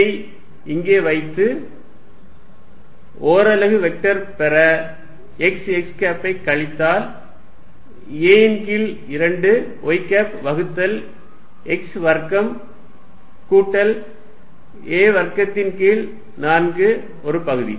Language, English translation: Tamil, So, I put this here, I am going to get the unit vector x x minus a by 2 y divided by x square plus a square by 4 1 half